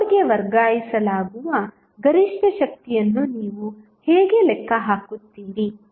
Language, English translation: Kannada, How you will calculate the maximum power which would be transferred to the load